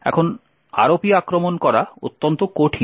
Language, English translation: Bengali, Now ROP attacks are extremely difficult to do